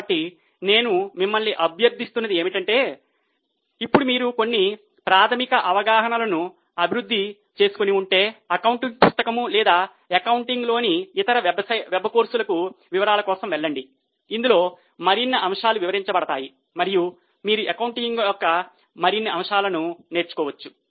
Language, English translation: Telugu, So, what I would request you is, now if you have developed some basic understanding, go for a detailed accounting book or some other web courses in accounting wherein more aspects would be detailed, would be discussed and you can learn more and more aspects of accounting